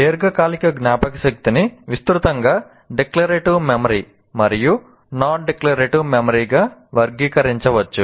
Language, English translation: Telugu, Now here, the long term memory can be broadly classified into declarative memory and non declarative memory